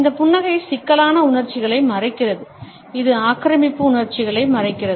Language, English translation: Tamil, This smile hides complex emotions, it hides emotions of aggression